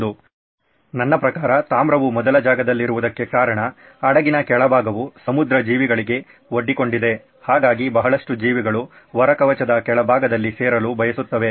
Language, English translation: Kannada, While the copper was in place for a reason because the underneath the ship was exposed to marine creatures, marine life, so a lot of creatures use to grow on the bottom of the hull